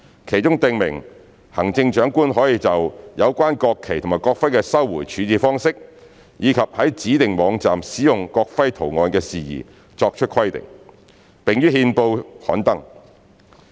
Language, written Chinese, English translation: Cantonese, 其中訂明行政長官可就有關國旗及國徽的收回處置方式，以及在指定網站使用國徽圖案的事宜作出規定，並於憲報刊登。, Among the provisions it is provided that the Chief Executive can make stipulations in the form of a gazette notice in relation to the manner of recovery and disposal of the national flags and the national emblems as well as the use of the national emblem design on designated websites